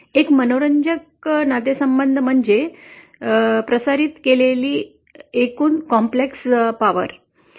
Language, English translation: Marathi, One interesting relation that often comes is what is the total complex power transmitted